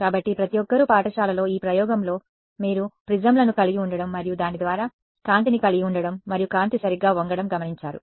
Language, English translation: Telugu, So, everyone has seen in this experiment in school right you have a prisms and light through it and light gets bent right